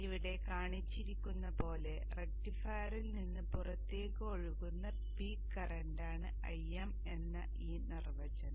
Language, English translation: Malayalam, This definition IM is the peak current that is flowing out of the rectifier as shown here